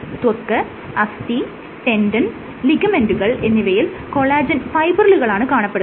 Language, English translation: Malayalam, So, if you look at fibril collagen they are in tissues like skin, tendon, bone or ligaments